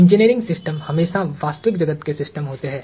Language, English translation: Hindi, Now, engineering systems are always real world systems